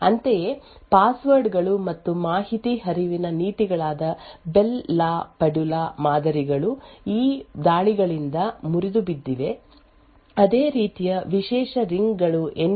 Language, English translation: Kannada, Similarly, passwords and the information flow policies such as the Bell la Padula models have been broken by these attacks similarly privileged rings, enclaves, ASLR and so on have all been broken by micro architectural attacks